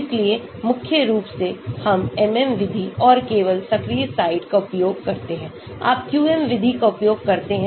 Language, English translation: Hindi, so predominantly we use MM method and only the active site, you use a QM method